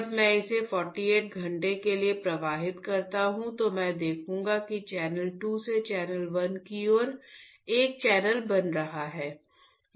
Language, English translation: Hindi, When I flow it for 48 hours, I will see that there is a channel formation from channel 2 towards channel 1 ok